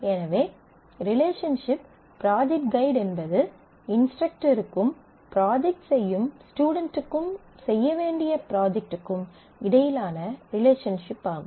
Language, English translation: Tamil, So, the relationship project guide is a relationship between the guide who is an instructor, the student who will do the project and the project that has to be performed